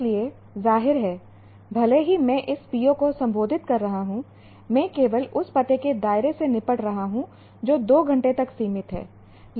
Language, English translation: Hindi, So obviously even though I am addressing this PO, I am only dealing with the scope of that address is limited to two hours